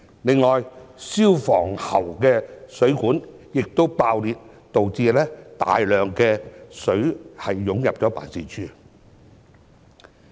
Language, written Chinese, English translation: Cantonese, 此外，消防喉的水管爆裂，導致大量食水湧入辦事處。, In addition due to the bursting of the water pipe in a fire hose reel system the office was flooded by a large amount of fresh water